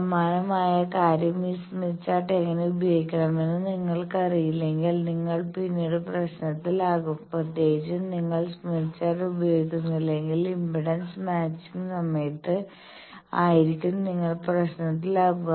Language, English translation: Malayalam, The similar thing, if you do not know, how to use this Smith Chart, you will be later at a problem particularly we will see that, when will do impedance matching by that time if you do not use Smith Chart you will be at problem